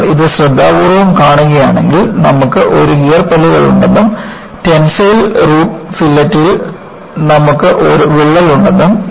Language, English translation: Malayalam, And, if you watch it carefully, you know, you have a gear teeth and you have a crack in the tensile root fillet